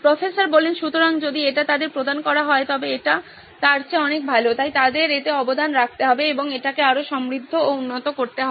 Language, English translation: Bengali, So if it is provided to them, it is far better than, so they have to contribute to this and make it richer and better